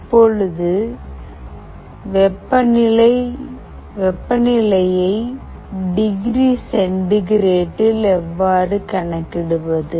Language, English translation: Tamil, Now how do we compute the temperature in degree centigrade